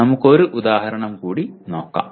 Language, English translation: Malayalam, We will look at one more example